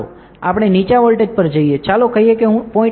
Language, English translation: Gujarati, Let us go to a lower voltage, let us say I give 0